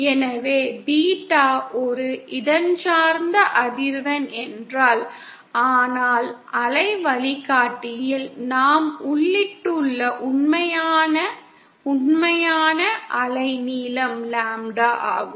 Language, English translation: Tamil, So if beta is a spatial frequency but then the actual real, wavelength that we have inputted into the waveguide is lambda